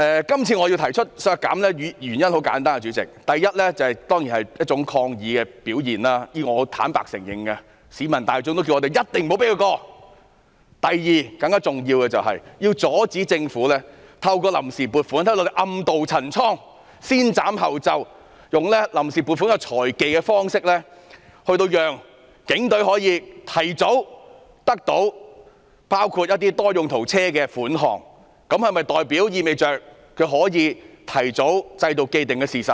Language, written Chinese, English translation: Cantonese, 今次我提出削減警務處開支的原因很簡單，第一，當然是抗議的表現，我是坦白承認的，市民也叫我們一定不要讓議案通過；第二，更加重要的是阻止政府透過臨時撥款暗渡陳倉，先斬後奏，用臨時撥款這項財技，令警隊可以提早獲得包括購買多用途車輛的款項，意味着警隊可以提早購買，製造既定事實。, First this is definitely a gesture of protest and I admit this honestly . The public have urged us to block the passage of the motion . Second and more importantly we have to prevent the Government from playing the financial tricks by first seeking funds on account to serve its covert motive of enabling the Police Force to obtain the funds in advance for such use as procuring multi - purpose vehicles